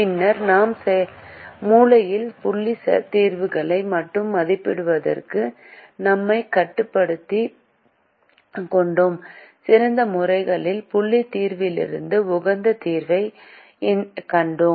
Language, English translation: Tamil, and then we restricted ourselves to evaluating only the corner point solutions and we found the optimum solution from the best corner point solution